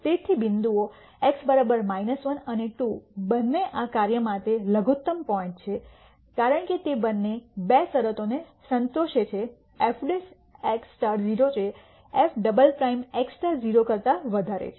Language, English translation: Gujarati, So, points x equal to minus 1 and 2 both are minimum points for this function because both of them satisfy the two conditions f prime x star is 0 and f double prime x star is greater than 0